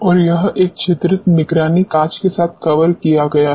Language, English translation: Hindi, And this is covered with a perforated watch glass